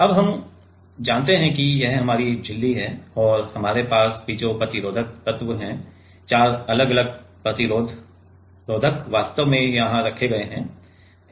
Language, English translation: Hindi, And we have the piezo resistive elements here right four different resistors actually put here